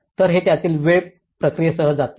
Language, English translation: Marathi, So, this is going with the time process of it